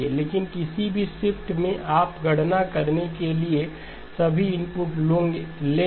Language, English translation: Hindi, But at any given shift you will take all the inputs for doing the computation